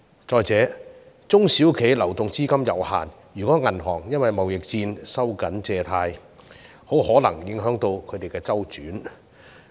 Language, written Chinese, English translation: Cantonese, 再者，中小企流動資金有限，如果銀行因為貿易戰而收緊借貸，很可能影響他們的資金周轉。, In addition if banks tighten their credit policies due to trade war SMEs may have liquidity problem due to their limited cash flow